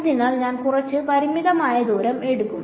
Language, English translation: Malayalam, So, I take some finite distance